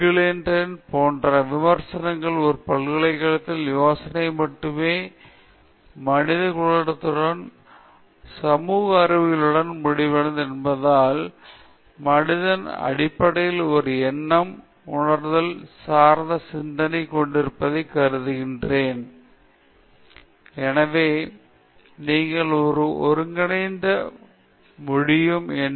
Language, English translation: Tamil, Like for example, Terry Eagleton critics such that the idea of a university becomes complete only with humanities and social sciences being there, because humanities basically suppose to have a kind of counter intuitive thought, a critical speculative I mean speculative look back at life in general